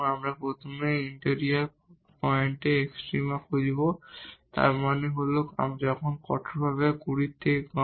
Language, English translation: Bengali, We will first look for the extrema in the interior point; that means, when strictly less than 20